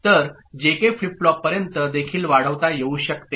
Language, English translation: Marathi, So, this can be extended to JK flip flop as well